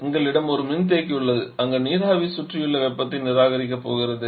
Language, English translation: Tamil, We have a condenser where the vapour is going to reject the heat to the surrounding